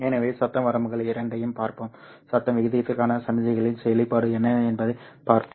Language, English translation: Tamil, So we will see both noise limits and see what is the expression for the signal to noise ratio